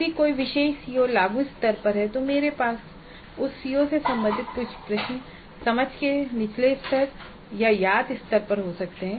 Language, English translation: Hindi, So if a particular CO is at apply level, I may have certain questions related to the CO at lower levels of understand and remember